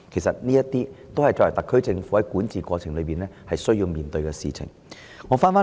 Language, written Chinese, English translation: Cantonese, 凡此種種，皆是特區政府在管治過程中需面對的事情。, The SAR Government has to deal with all these issues when it administers its policies